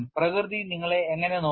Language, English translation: Malayalam, How nature as looked at you